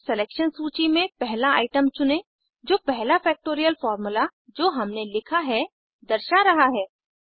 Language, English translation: Hindi, Then choose the first item in the Selection list denoting the first factorial formula we wrote